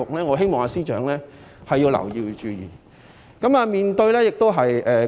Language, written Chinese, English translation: Cantonese, 我希望司長要注意國際大格局。, I hope that the Secretary will pay attention to the overall global situation